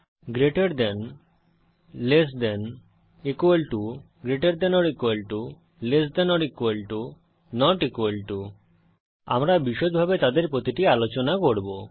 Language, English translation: Bengali, * greater than * less than 00:01:13 00:00:13 * equal to * greater than or equal to * less than or equal to * not equal to We shall look into each of them in detail